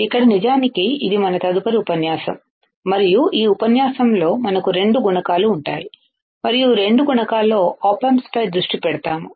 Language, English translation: Telugu, So, next lecture in fact, and in this lecture we have we will have two modules; and both the modules will focus on op amps all right